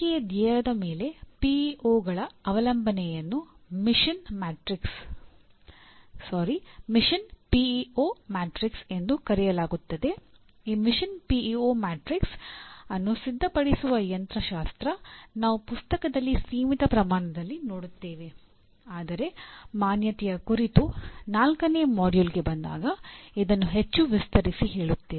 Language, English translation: Kannada, The mechanics of preparing this Mission PEO matrix while we see in a limited extent in the presently but more elaborately when we come to the fourth module on accreditation